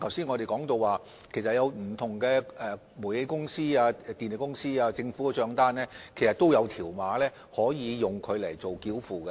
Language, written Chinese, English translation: Cantonese, 我們剛才也提到，煤氣公司、電力公司和政府的帳單均設有條碼作繳費之用。, As we also mentioned just now Towngas electricity and government bills carry barcodes for payment purpose